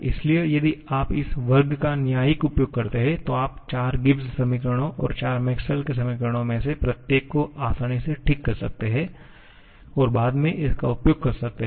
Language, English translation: Hindi, So, if you make judicial use of this square, you can easily recover each of the 4 Gibbs equations and the 4 Maxwell's equations and subsequently can make use of that